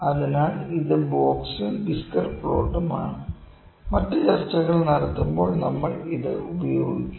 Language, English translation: Malayalam, So, this is box and whisker plot and we will use this when we will do further other discussions